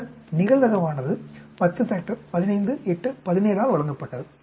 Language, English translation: Tamil, Then the probability is given by 10 factorial 15, 8, 17